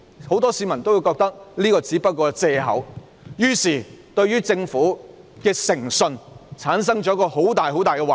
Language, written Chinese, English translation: Cantonese, 很多市民也認為這只是一個借口，因而對政府的誠信產生很大的懷疑。, Many members of the public considered that it was just an excuse and therefore they have great misgivings about the integrity of the Government